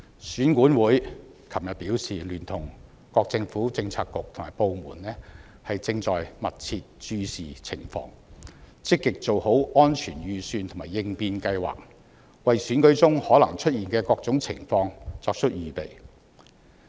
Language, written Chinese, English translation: Cantonese, 選舉管理委員會昨天表示，已聯同各政策局和部門密切注視情況，積極做好安全預算和應變計劃，就選舉中可能出現的各種情況作出預備。, The Electoral Affairs Commission EAC indicated yesterday that it has been working with different Policy Bureaux and departments to closely monitor the situation and has actively drawn up various security and contingency plans to deal with all kinds of circumstances which may arise during the Election